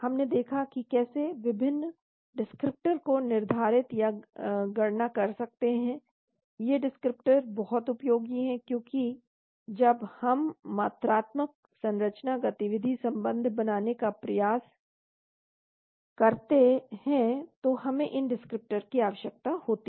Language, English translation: Hindi, We looked at how to determine or calculate various descriptors, these descriptors are very useful, because when we try to develop the quantitative structure activity relationship we need these descriptors